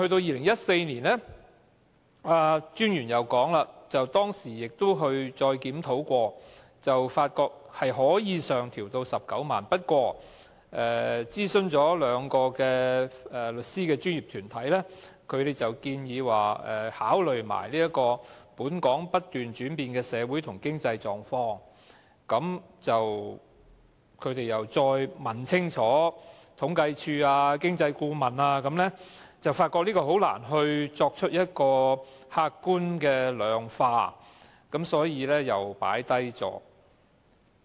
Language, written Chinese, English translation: Cantonese, 專員又表示，在2014年曾經進行檢討，發覺款額可以上調至19萬元，不過，經諮詢兩個律師的專業團體，它們建議一併考慮"本港不斷轉變的社會和經濟狀況"，而經諮詢清楚政府統計處和政府經濟顧問之後，發現難以客觀地量化，於是又擱置了調整款額。, The Solicitor General added that another review was conducted in 2014 and it was determined that the sum could be raised to 190,000 . But when the two legal professional bodies were consulted they advised that the changing social and economic conditions of Hong Kong should also be taken into account . Then having consulted the Census and Statistics Department and the Government Economist the Government got the clear advice that it was difficult to ever quantify such changes